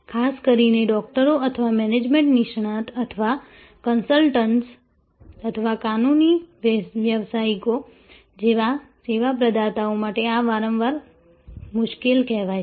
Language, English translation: Gujarati, This again is often called difficult particularly for service providers like doctors or management professionals or consultants or legal professionals